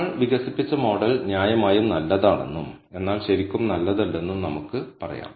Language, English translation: Malayalam, So, we can say that, yes, the model we have developed is reasonably good, but not really good